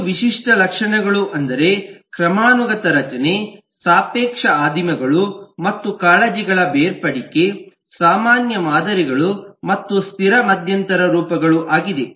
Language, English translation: Kannada, five typical attributes are: hierarchic structure, relative primitives and separation of concerns, common patterns and stable intermediate forms